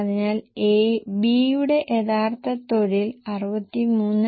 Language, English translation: Malayalam, So, the original direct labor for B was 63